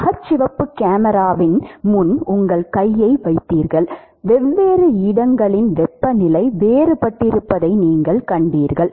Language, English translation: Tamil, You put your hand in front of the infrared camera; you will see that the temperature of different location is different